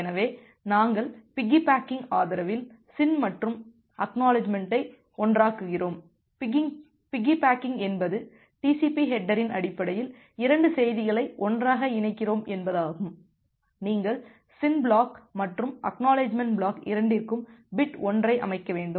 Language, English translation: Tamil, So, we are basically piggy backing SYN and ACK together piggy backing means we are combining 2 message together in terms of TCP header, you need to set bit 1 for both the SYN flag and for the ACK flag